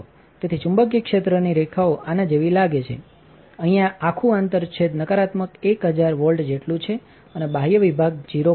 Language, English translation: Gujarati, So, the magnetic field lines look like this; this whole intersection here is at about negative a 1000 volts and the outer section is at 0